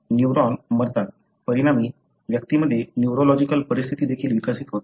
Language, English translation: Marathi, The neuron die, as a result the individual also develop neurological conditions